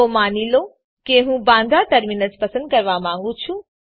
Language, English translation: Gujarati, So lets suppose that i want to choose Bandra Terminus